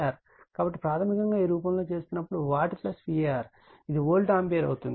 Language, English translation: Telugu, So, basically when doing right in this form, watt plus your var this can be an volt ampere